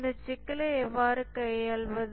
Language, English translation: Tamil, How do we handle this problem